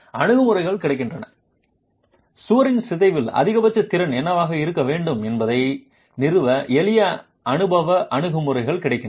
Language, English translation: Tamil, Approaches are available, simple empirical approaches are available to establish what should be the maximum capacity in deformation of the wall